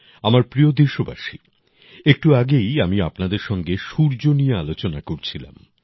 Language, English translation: Bengali, My dear countrymen, just now I was talking to you about the sun